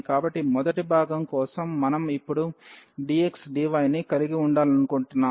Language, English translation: Telugu, So, for this first part we will have we want to have now the dx dy